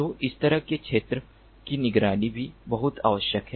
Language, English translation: Hindi, so this kind of surveillance of the field is also very much required